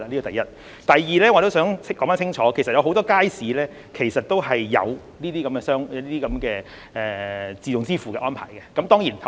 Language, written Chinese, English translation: Cantonese, 第二，我也想說清楚，其實很多街市也有這些電子支付的安排。, Secondly I would also like to make it clear that many markets have actually put in place such electronic payment arrangements